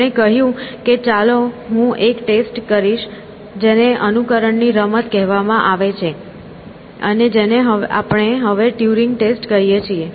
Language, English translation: Gujarati, He said that let me prescribe a test which is called as a imitation game, and which we now called that Turing test